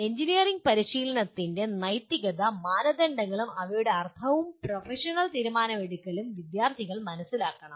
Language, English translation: Malayalam, Students should understand the ethical norms of engineering practice and their implication and professional decision making